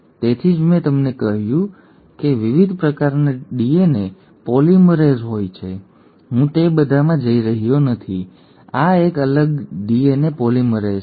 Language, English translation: Gujarati, That is why I told you there are different kinds of DNA polymerases; I am not going into all of them, this is a different DNA polymerase